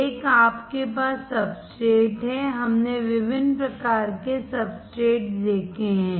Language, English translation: Hindi, One, is you have the substrate; we have seen different kind of substrates